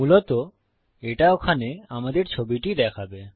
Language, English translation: Bengali, Basically, that will let us show our image there